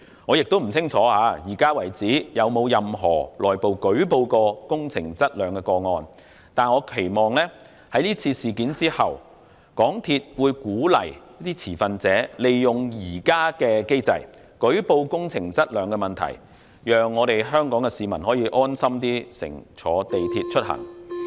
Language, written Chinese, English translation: Cantonese, 我也不清楚到目前為止，有沒有任何內部舉報工程質量的個案，但我期望在是次事件後，港鐵公司會鼓勵持份者利用現有機制，舉報工程質量的問題，讓香港市民可以安心乘坐港鐵出行。, I am not sure whether up to the present moment there is any reporting of quality problems with capital works by a whistle - blower . But I hope that after this incident MTRCL will encourage stakeholders to make use of the existing mechanism to report quality problems with capital works with a view to put Hong Kong people at ease when travelling with MTR